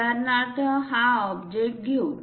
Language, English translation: Marathi, For example, let us take this object